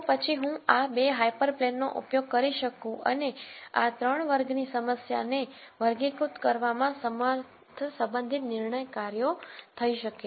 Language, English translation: Gujarati, Then I could use these 2 hyper planes and the corresponding decision functions to be able to classify this 3 class problem